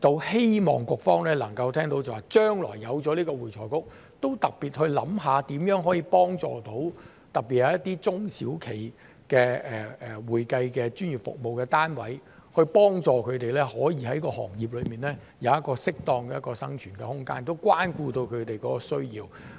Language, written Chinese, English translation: Cantonese, 希望局方能夠聽到，將來有了會財局，都特別去想想如何可以幫助特別是一些中小企的會計專業服務單位，幫助他們可以在行業內有一個適當的生存空間，關顧到他們的需要。, I hope that the Bureau can hear this and following the establishment of AFRC in the future it will specifically think about how to help professional accounting service units especially those which are SMEs and help them find a proper room for survival in the industry and take care of their needs